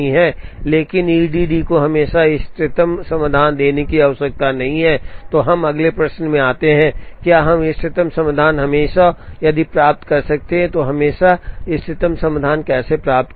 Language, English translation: Hindi, But, E D D need not give us the optimum solution always, then we get into the next question of, can we get to the optimum solution always and if, so how do we get to the optimum solution always